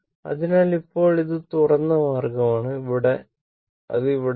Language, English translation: Malayalam, So now, this is open means, it is not there